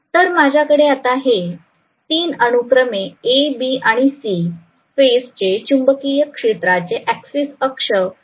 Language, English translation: Marathi, So I have these 3 as the magnetic field axis of A, B and C phases respectively